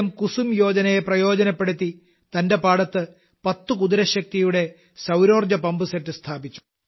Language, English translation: Malayalam, He took the benefit of 'PM Kusum Yojana' and got a solar pumpset of ten horsepower installed in his farm